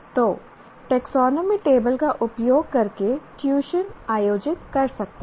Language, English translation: Hindi, So, one can even organize tutoring by using the taxonomy table